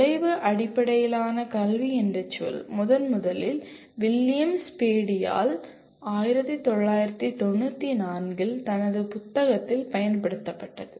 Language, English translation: Tamil, The term outcome based education was first used and presented by William Spady in his book in 1994